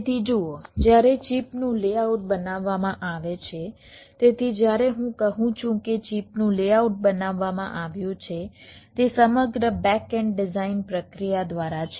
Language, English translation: Gujarati, so when i say layout of the chip is created, it is through the entire back end design process